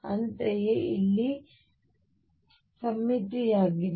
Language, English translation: Kannada, Similarly it is this symmetry out here